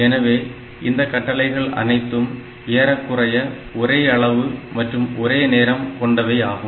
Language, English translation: Tamil, So, that way all these instructions they are of more or less same size and same duration